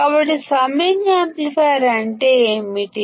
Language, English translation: Telugu, So, what is the summing amplifier